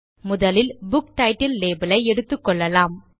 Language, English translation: Tamil, Let us first consider the Book Title label